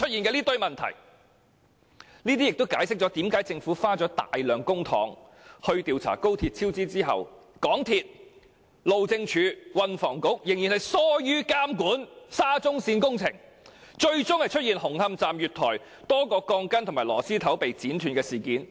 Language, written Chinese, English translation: Cantonese, 這亦解釋了為何政府花費大量公帑調查高鐵超支後，港鐵公司、路政署和運輸及房屋局仍然疏於監管沙中線工程，最終出現了紅磡站月台多條鋼筋和螺絲頭被剪斷的事件。, This also explains why after the Government had spent a substantial amount of public money on the inquiry into the XRL cost overrun debacle MTRCL HyD and the Transport and Housing Bureau were still lax in monitoring the SCL project and eventually a large number of steel bars were cut at the platform of Hung Hom Station